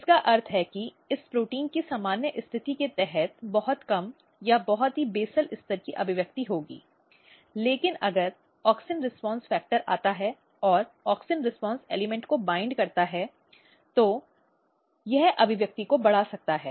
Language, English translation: Hindi, So, which means that this protein will have a very low or very basal level expression under normal condition, but if there is auxin response factor if it comes and binds to the auxin response element, it can enhance the expression